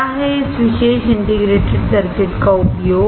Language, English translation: Hindi, What is the use of this particular integrated circuit